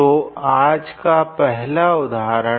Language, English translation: Hindi, So, example one for today